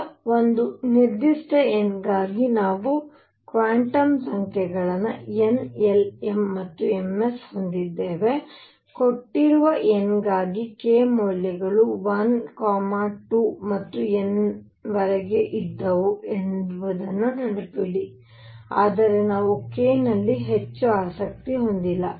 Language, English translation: Kannada, Now, for a given n and say for, So we have quantum numbers n l m and m s, for a given n, remember what were the k values k values were 1 2 and up to n, but we are no more interested in k